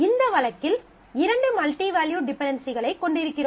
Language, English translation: Tamil, So, there are 2 different multi valued dependencies in this case